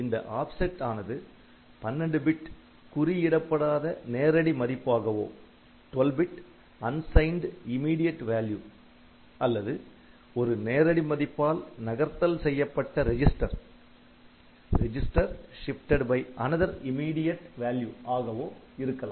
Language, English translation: Tamil, Now, this offset can be 12 bit unsigned immediate value or a register shifted by another immediate value, I will I will take some examples